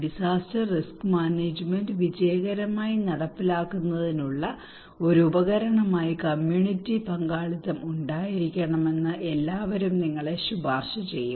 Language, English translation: Malayalam, Everybody would recommend you to have community participation as a tool to successful implementations of disaster risk management